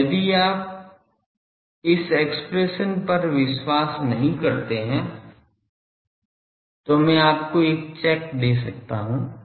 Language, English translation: Hindi, Now, if you do not believe this expression, I can give you a check